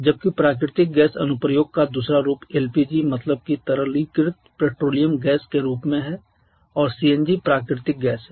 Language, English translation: Hindi, Whereas the other form of natural gas application is in the form of LPG liquefied petroleum gas CNG is compressed natural gas